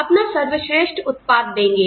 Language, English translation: Hindi, They give you their best output